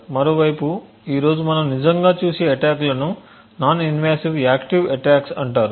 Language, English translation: Telugu, On the other hand the attacks that we would actually look at today are known as non invasive active attacks